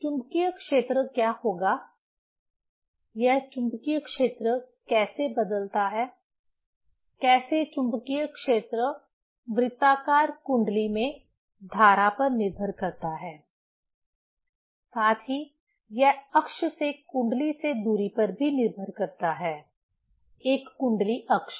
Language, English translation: Hindi, What will be the magnetic field; how this magnetic field varies; how magnetic field depends on the current in the circular coil; also it depends on the distance from the coil along the axis, a coil axis